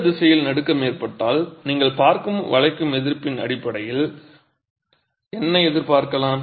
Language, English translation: Tamil, And if there is shaking in this direction, what would you expect given the bending resistances that you see